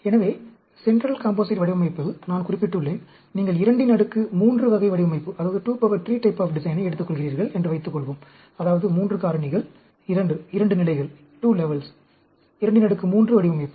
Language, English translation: Tamil, So, in the Central Composite Design, I mentioned, suppose you take a 2 power 3 type of a design, that means, 3 factors, 2, 2 levels, 2 raised to the power 3 design